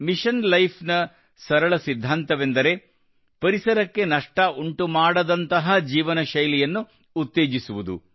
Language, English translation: Kannada, The simple principle of Mission Life is Promote such a lifestyle, which does not harm the environment